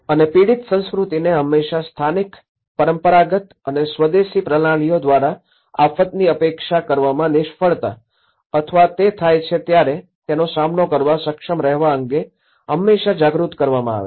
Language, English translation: Gujarati, And a victim culture is always being made aware of the failure of the local, traditional and indigenous systems to either anticipate the disaster or be able to cope up when it happens